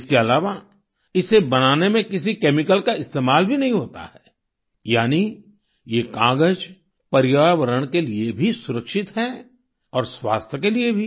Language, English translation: Hindi, Besides, no chemical is used in making this paper, thus, this paper is safe for the environment and for health too